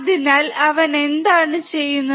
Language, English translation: Malayalam, So, what he is doing